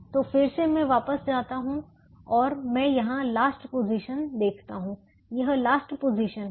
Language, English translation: Hindi, so again i go back and i look at the last position here